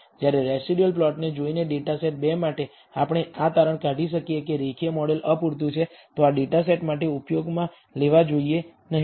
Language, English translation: Gujarati, Whereas, for data set 2 by look at the residual plot we can conclude that a linear model is inadequate should not be used for this data set